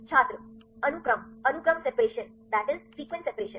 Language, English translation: Hindi, Sequence; sequence separation